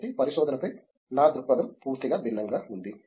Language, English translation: Telugu, So, my perspective on research was completely altogether different